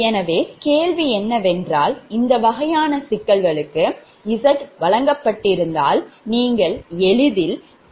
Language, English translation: Tamil, so question is that for this kind of problem, if it is given, i mean if you solve, generally we supply that z bus matrix